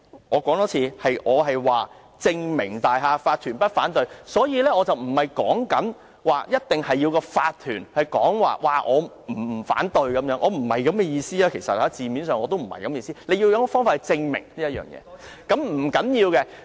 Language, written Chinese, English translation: Cantonese, 我重申，我說的是"證明大廈法團不反對"，而不是一定要法團表示不反對，我字面上的意思不是這樣，只是要有方法來證明這一點。, Let me repeat . What I am saying is that the applicant has to prove that the OC in question has no objection but not the OC concerned has to indicate its non - objection . This is not the literal meaning of my words